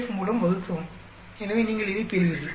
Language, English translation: Tamil, Divide by the DF, so you will get this